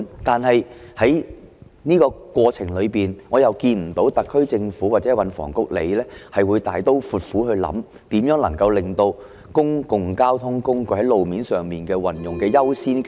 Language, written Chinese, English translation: Cantonese, 但是，在這個過程裏，我看不到特區政府或運房局會大刀闊斧的考慮，如何能夠進一步擴大公共交通工具使用路面的優先權。, However along this pathway it does not appear to me that the SAR Government or the Transport and Housing Bureau will take a broad consideration of how to give further priority to means of public transport in the use of road space